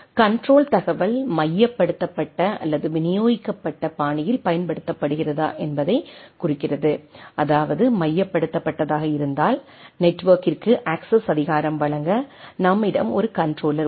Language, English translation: Tamil, Where refers to whether the control info is exercised in a centralised or distributed fashion and that means, in case of a centralised we have a controller has a authority to grant access to the network